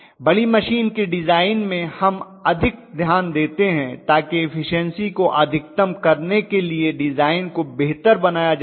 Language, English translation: Hindi, Because the larger the machine we pay more attention to the design to make the design much better to maximize the efficiency